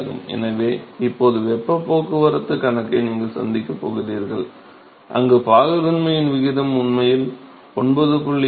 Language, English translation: Tamil, So, now, you are going to have a heat transport problem, where the ratio of viscosity is really going to change more than 9